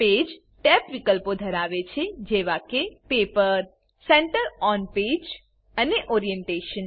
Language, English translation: Gujarati, Page tab contains fields like Paper, Center on Page and Orientation